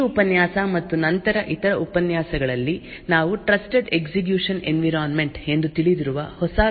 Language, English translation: Kannada, In this lecture and other lectures that follow we will take a new topic know as Trusted Execution Environments